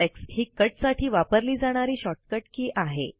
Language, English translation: Marathi, The shortcut key to cut is CTRL+X